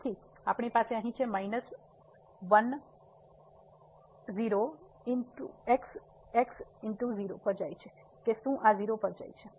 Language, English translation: Gujarati, So, we have here minus goes to 0 whether this goes to 0